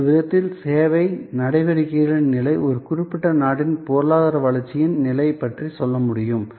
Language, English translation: Tamil, So, in a way the level of service activity can tell us about the level of economy growth in a particular country